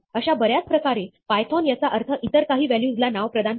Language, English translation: Marathi, In many ways, python interprets this like any other assignment of a value to a name